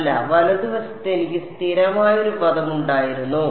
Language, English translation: Malayalam, No, and did I have a constant term on the right hand side